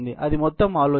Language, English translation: Telugu, That is the whole idea